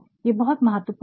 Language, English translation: Hindi, So, this is very important